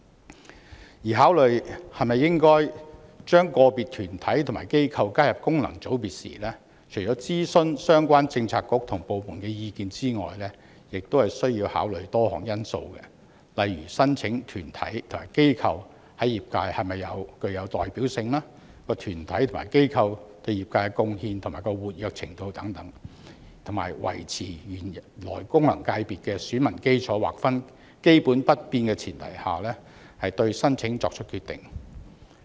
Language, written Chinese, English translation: Cantonese, 此外，考慮是否應將個別團體或機構加入功能界別時，除諮詢相關政策局/部門的意見外，亦須考慮多項因素，例如申請的團體或機構在業界是否具有代表性、該團體或機構對業界的貢獻及活躍程度等，在維持原來功能界別的選民基礎劃分基本不變的前提下，對申請作出決定。, In addition in considering whether individual organizations or bodies should be added to an FC apart from seeking the advice of the relevant bureauxdepartments various factors also have to be considered such as whether the applying organization or body is representative in the sector its contribution to the sector and its degree of activity . A decision will be made on the application under the premise of basically maintaining the original delineation of the electorate of FC